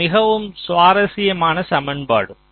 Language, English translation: Tamil, ok, this is a very interesting equation